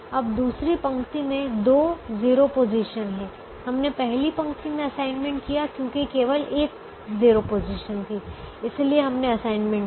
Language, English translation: Hindi, now there are two zero positions, so we can either make the assignment here in the first position or we can make the assignment here